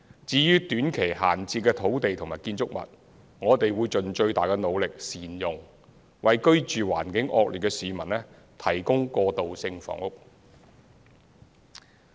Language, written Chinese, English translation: Cantonese, 至於短期閒置的土地及建築群，我們會盡最大的努力善用，為居住環境惡劣的市民提供過渡性房屋。, In regard to short - term idle sites and building clusters we will try our very best to maximize the usage by providing transitional housing for inadequately housed households